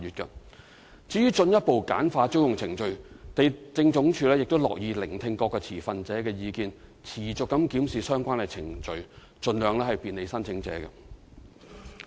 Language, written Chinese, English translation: Cantonese, 至於進一步簡化租用程序，地政總署樂意聆聽各持份者的意見，會持續檢視相關程序，盡量便利申請者。, As for the suggestion to further simplify the lease application procedure the Lands Department is more than pleased to listen to the views of the stakeholders and it will keep the procedure under constant review to bring convenience to the applicants as far as feasible